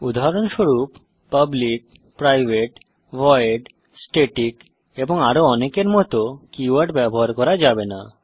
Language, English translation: Bengali, For example: cannot use keywords like public, private, void, static and many more